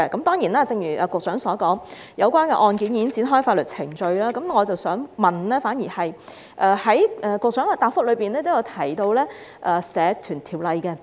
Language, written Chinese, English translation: Cantonese, 當然，正如局長所說，有關案件已經展開法律程序，我反而想問關於局長在答覆中提到的《社團條例》。, Certainly as the Secretary said legal proceedings of the case have commenced . Thus I would rather ask a question on the Societies Ordinance mentioned in the Secretarys reply